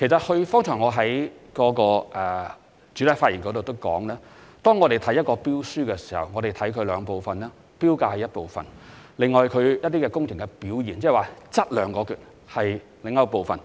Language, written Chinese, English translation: Cantonese, 我剛才在主體答覆已有提到，在審視一份標書時，我們會分兩部分作出評估，投標價是一個部分，而工程表現則為另一部分。, As I mentioned in the main reply just now tender evaluation of public works contracts comprises two parts namely tender prices and tenderers technical performance ie